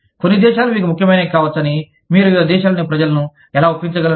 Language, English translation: Telugu, How do you convince people, in different countries, that some issues may be important for you